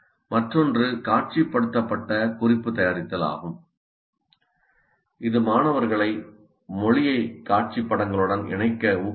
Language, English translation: Tamil, And another one, visualized not making is a strategy that encourages students to associate language with visual imagery